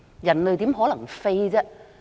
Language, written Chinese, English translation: Cantonese, 人類怎可能飛？, How could human beings fly?